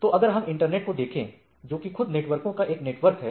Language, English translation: Hindi, So, it is a if we look at the internet which is a network of networks